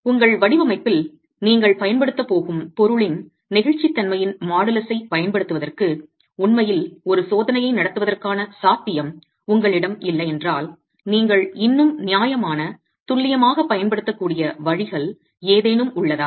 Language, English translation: Tamil, And then in case you do not have the possibility of actually carrying out a test to be able to use the modus of elasticity of the material that you're going to be using in your design, are there any ways that you can still use a reasonably accurate value of the modulus of elasticity for your design